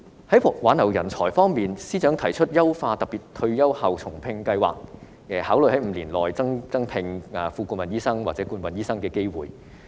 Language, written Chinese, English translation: Cantonese, 在挽留人才方面，司長提出優化特別退休後重聘計劃，考慮在5年內增加副顧問醫生晉升至顧問醫生的機會。, On the matter of retaining talents the Financial Secretary has proposed to enhance the Special Retired and Rehire Scheme and to consider creating opportunities for Associate Consultants to be promoted to Consultants within the next five years